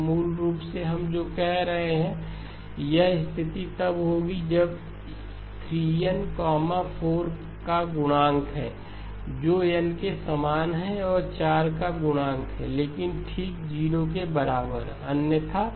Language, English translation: Hindi, So basically what we are saying is this condition will hold if n is a multiple of 4 which is the same as n is the multiple of 4 right, but okay, so equal to 0 otherwise